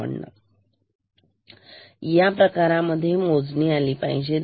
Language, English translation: Marathi, So, then in this case the count should be 10